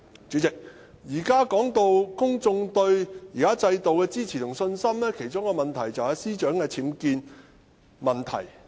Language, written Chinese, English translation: Cantonese, 主席，談及公眾對現行制度的支持和信心，關鍵之一正正繫於司長的僭建問題。, President when it comes to public support and confidence in the current system the key now lies in the row over the UBWs of the Secretary for Justice